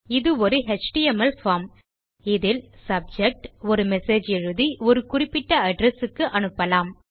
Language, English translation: Tamil, This will be in an HTML form in which you can write a subject and a message and send to a specified address